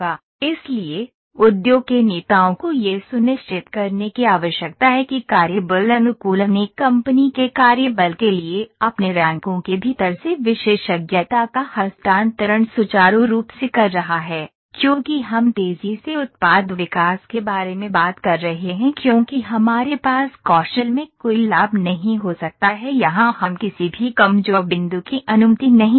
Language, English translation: Hindi, So, industry leaders need to make sure that the workforce adaptation is smooth making a transfer of expertise from within their ranks to a company’s work force is a rapid and pragmatic because we are talking about Rapid Product Development we cannot have any leverage in the skills as well we cannot allow any weak points here